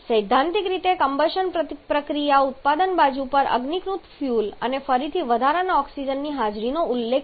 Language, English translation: Gujarati, The theoretical combustion process refers to no presence of unburned fuel and again surplus oxygen on the product side